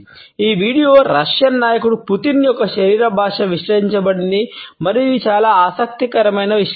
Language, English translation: Telugu, This video is analysed the body language of the Russian leader Putin and it is a very interesting analysis